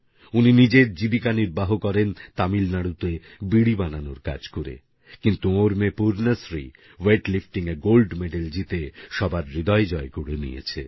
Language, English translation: Bengali, Yogananthanmakesbeedis in Tamil Nadu, but his daughter Purnashree won everyone's heart by bagging the Gold Medal in Weight Lifting